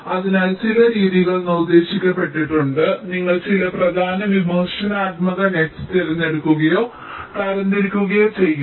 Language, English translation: Malayalam, so some method have been proposed that you select or classify some of the top critical nets